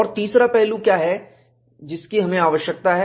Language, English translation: Hindi, And, what is the third aspect that we require